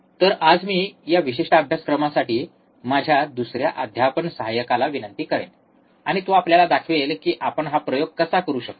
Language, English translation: Marathi, So, for today I will request my another teaching assistant for this particular course, and he will be showing you how we can perform this experiment